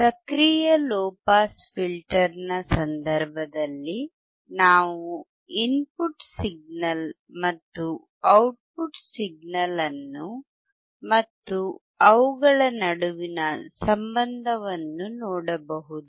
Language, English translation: Kannada, In case of active low pass filter, we can see the input signal and output signal; and the relation between them